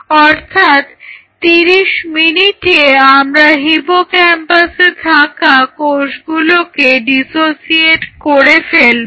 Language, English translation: Bengali, Now at 30 minutes we dissociated all the cells of hippocampus